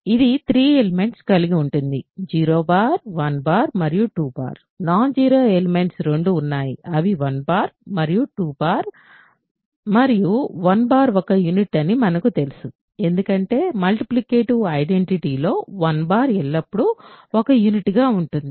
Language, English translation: Telugu, So, and this has 3 elements, 0 bar 1 bar and 2 bar, there are two non zero elements these are non zero, 1 bar and 2 bar and we know 1 bar is a unit, because 1 bar is always a unit being the multiplicative identity